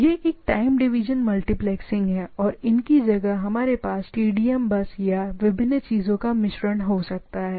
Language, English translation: Hindi, So, these sort of things are possible there this is a time division multiplexing and instead of these we can have TDM bus or a mix of the different things